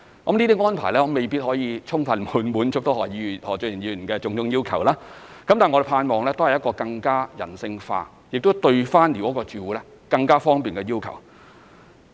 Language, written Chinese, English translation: Cantonese, 這些安排未必可以充分滿足何俊賢議員的種種要求，但我們盼望這都是一個更人性化、更方便寮屋住戶的要求。, These arrangements may not be able to fully satisfy Mr Steven HOs various demands but we hope that these requirements can be more humanistic and provide more convenience to squatter occupants